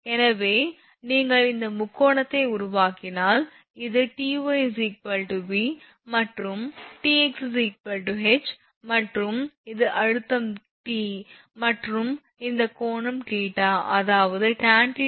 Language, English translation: Tamil, So, this is V Ty is equal to V and Tx is equal to H if you make this triangle and this is tension T and this angle is theta; that means, tan theta will be as actually is equal to V upon H